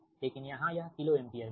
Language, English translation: Hindi, so, and this is in kilo volt, this will be kilo ampere